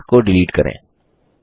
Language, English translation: Hindi, Let us delete this link